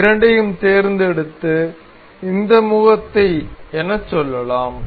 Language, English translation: Tamil, You can select these two and say this face